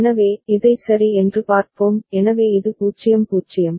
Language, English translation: Tamil, So, let us look at it ok, so this is 0 0